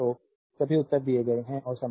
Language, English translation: Hindi, So, all answers are given and problem 4